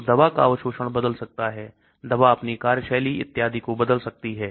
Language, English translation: Hindi, So the drug absorption can change, the drug action can change and so on